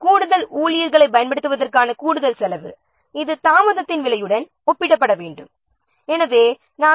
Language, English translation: Tamil, Of course the additional cost of the employing extra staff it would need to be compared with the cost of delayed